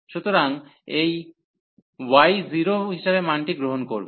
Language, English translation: Bengali, So, this y will take as the value 0